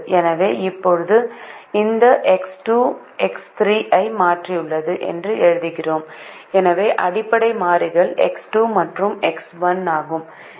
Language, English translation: Tamil, so we now write this: x two has replaced the x three, so the basic variables are x two and x one